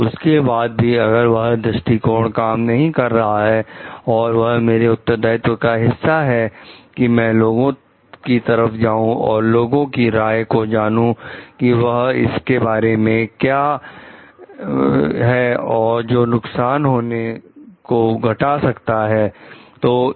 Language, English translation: Hindi, And if again that approach is not working and it is a part of my responsibility to move to the public at large also, to gather a public opinion about it which may help to reduce the harm